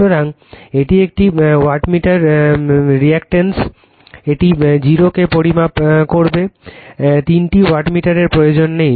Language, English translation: Bengali, So, this one wattmeter is redundant it will measure 0, no need for three wattmeter